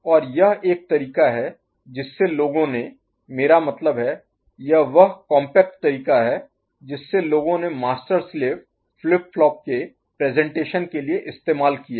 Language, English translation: Hindi, And this is one way people have I mean, this is the compact way people have made a presentation of representation of master slave flip flop